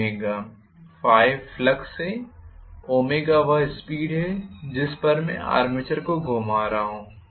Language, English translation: Hindi, Phi is the flux omega is the speed at which I am rotating the armature,right